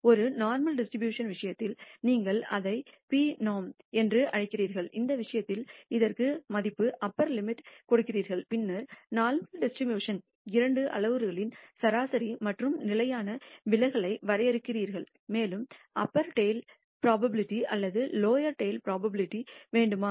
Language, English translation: Tamil, In the case of a normal distribution you call it p norm you give it the value upper limit in this case and then you define the mean and standard deviation of the two parameters of the normal distribution and you also specify something; whether you want the upper tail probability or the lower tail probability